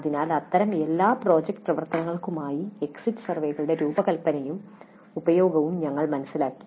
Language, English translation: Malayalam, So we understood the design and use of exit surveys for all such project activities